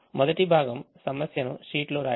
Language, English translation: Telugu, the first part is writing the problem on the sheet